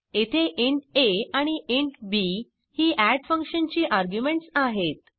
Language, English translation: Marathi, int a and int b are the arguments of the function add